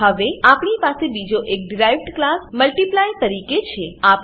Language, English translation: Gujarati, Now we have another derived class as Multiply